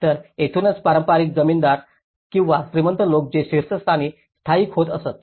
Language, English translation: Marathi, So, this is where the traditional, the landlords or the rich people who used to settle down on the top